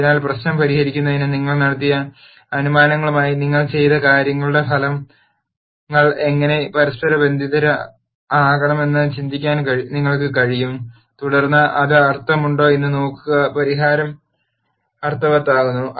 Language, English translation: Malayalam, So, you would be able to think about how you can correlate the results of whatever you have done to the assumptions you made to solve the problem and then see whether that makes sense whether the solution makes sense and so on